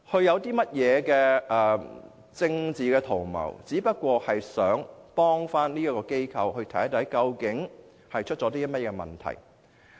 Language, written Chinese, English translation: Cantonese, 我們沒有政治圖謀，只是希望幫助這間機構，看看出現甚麼問題。, We do not have any political intention . We only want to help this organization find out its problems